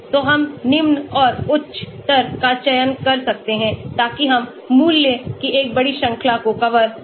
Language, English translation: Hindi, So, we can select lower and higher so that we can cover a big range of value